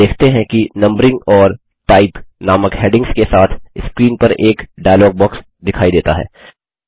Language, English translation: Hindi, You see that a dialog box appears on the screen with headings named Numbering and Type